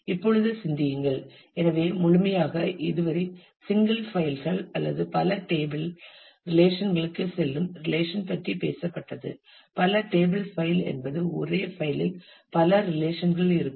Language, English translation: Tamil, Now think about; so the whole so, we have; so, far talked about the relations and relations going to either single files or multi table relations; multi table file where multiple relations are on the same file